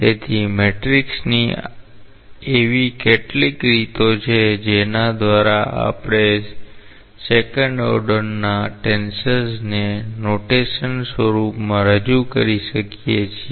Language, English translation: Gujarati, So, matrices are some of the ways by which we may represent say a second order tensor in a notational form